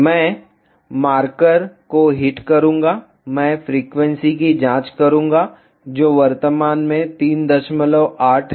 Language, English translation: Hindi, I will hit the marker, I will check the frequency which is 3